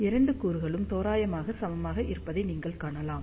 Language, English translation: Tamil, And you can see that, both the components are approximately equal